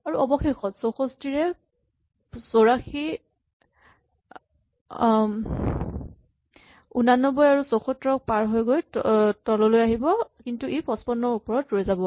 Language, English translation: Assamese, And finally, 64 will move down to positions past 84 and 89 and 74, but it will stop above 55